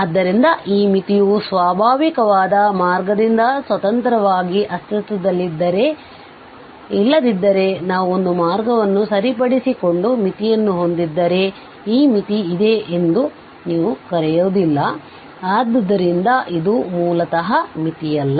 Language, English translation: Kannada, So, if this limit exists, then independent of the path that is natural otherwise you will not call that this limit exists if we have fixed a path and got the limit, so, that is not basically the limit